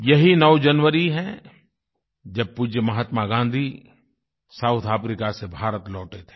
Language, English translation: Hindi, It was on the 9 th of January, when our revered Mahatma Gandhi returned to India from South Africa